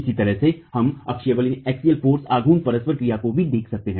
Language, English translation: Hindi, In a similar manner, we can also look at the axial force moment interaction